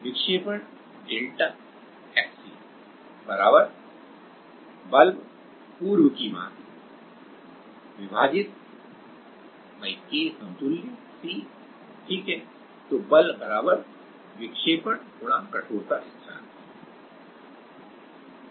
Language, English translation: Hindi, Deflection is delta x c = forces again same divided / K equivalent c right force is = deflection * stiffness constant